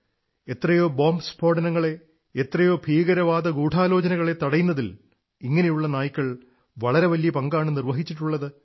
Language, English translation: Malayalam, Such canines have played a very important role in thwarting numerous bomb blasts and terrorist conspiracies